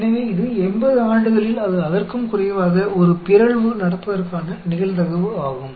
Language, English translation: Tamil, So, that is the probability of a mutation taking place in 80 years or less